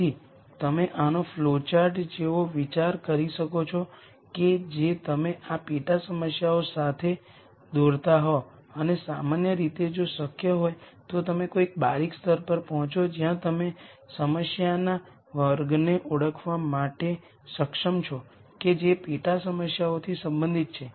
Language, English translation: Gujarati, So, you can think of this like a flowchart that you are drawing with these sub problems and in general if possible you get to a granularity level where you are able to identify the class of problem that the sub problems belong to